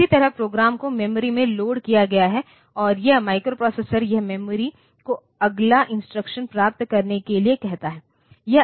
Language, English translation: Hindi, Somehow, the program has been loaded into the memory and this microprocessor it asks the memory to get the next instruction